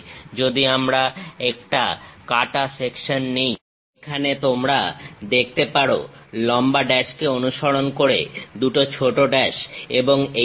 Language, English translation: Bengali, If we are taking a cut section; here you can see, long dash followed by two small dashes and so on